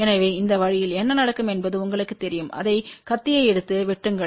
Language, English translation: Tamil, So, this way what will happen you just you know take it knife and cut it on